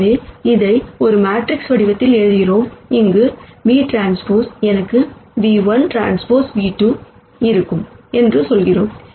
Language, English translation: Tamil, So, we write this in a matrix form where we say v transpose there I will have nu 1 transpose nu 2 transpose